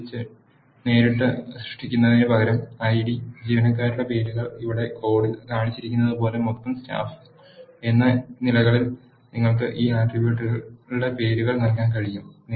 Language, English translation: Malayalam, Instead of directly creating a list you can also give the names for this attributes as ID, names of employees and the total staff as shown in the code here